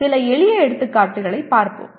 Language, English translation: Tamil, Let us look at some simple examples